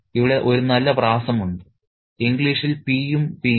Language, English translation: Malayalam, There's a nice consonance here, P and P